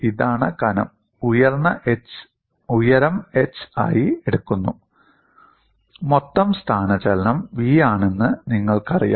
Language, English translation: Malayalam, This is what is the thickness and the height is taken as h, and the total displacement is v